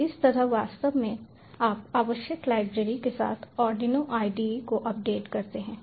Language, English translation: Hindi, so this is actually how you update the arduino ide with the required library